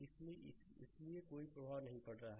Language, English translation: Hindi, So, that is why it has it is not making any impact